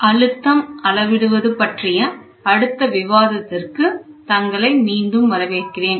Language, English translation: Tamil, Welcome back, the next topic of discussion is going to be Pressure Measurement